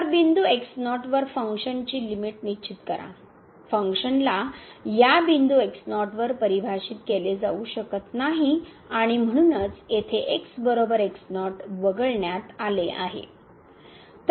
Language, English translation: Marathi, So, define the limit of function at point naught, the function may not be defined at this point naught and therefore, here that is equal to naught is excluded